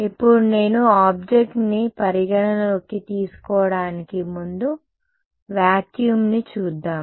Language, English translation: Telugu, Now, if I consider the object well before I come to object let us look at vacuum